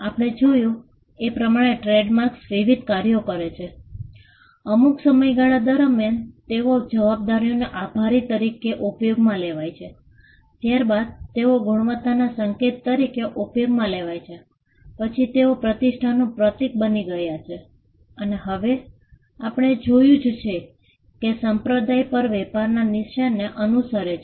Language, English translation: Gujarati, Trademarks perform various functions we had seen that, over a period of time they were used to attribute liability, then they were used to as a signal of quality, then they became a symbol of reputation and now there is also cult following of trade marks as we have seen